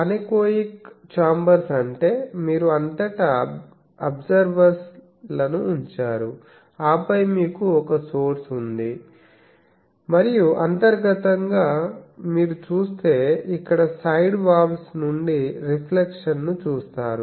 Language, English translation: Telugu, Anechoic chambers means, you put absorbers throughout and then you have a source and internally you see from here from the side walls there is reflections